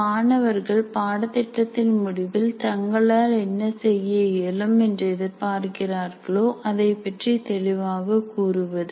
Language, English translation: Tamil, It consists of writing course outcomes that clearly state what the students are expected to be able to do at the end of the course